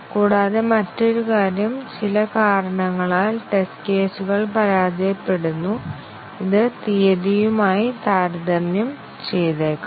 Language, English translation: Malayalam, And also, another thing is that, the test cases fail for some reasons like, it may be comparing with date